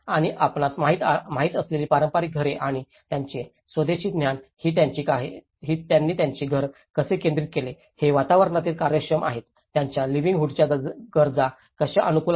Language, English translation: Marathi, And the traditional houses you know and their indigenous knowledge how they oriented their houses, they are climatically efficient, how it suits their livelihood needs